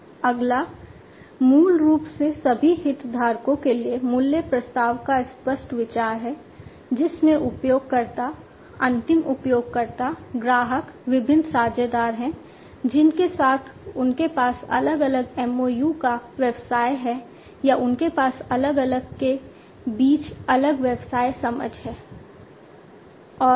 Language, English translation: Hindi, The next one is basically the explicit consideration of the value proposition for all the stakeholders, which includes the users, the end users, the customers, the different partners with which the business you know they have different , you know, MOUs or they have different understanding between the different other businesses